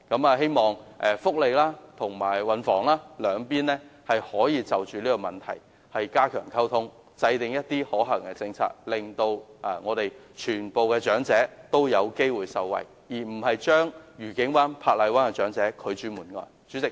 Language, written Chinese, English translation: Cantonese, 我希望勞工及福利局和運輸及房屋局可以就這問題加強溝通，制訂可行的政策，令所有長者均有機會受惠，而不是將愉景灣和珀麗灣的長者拒諸門外。, I hope the Labour and Welfare Bureau and the Transport and Housing Bureau can enhance communication on this matter and formulate a feasible policy in a bid to give all elderly people an opportunity to benefit from it rather than shutting the door on the elderly people in Discovery Bay and Park Island . President I so submit . prevention when it comes to rare genetic diseases